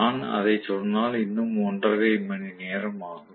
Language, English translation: Tamil, If I get into that, that will take up another one and a half hours